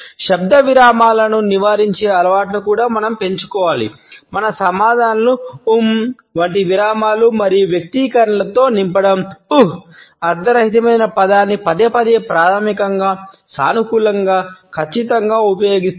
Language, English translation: Telugu, We should also develop the habit of avoiding verbal pauses; filling our answers with pauses and expressions like ‘um’, ‘uh’s using a meaningless word repeatedly basically, positively, surely